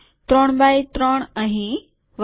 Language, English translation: Gujarati, 3 by 3 here and so on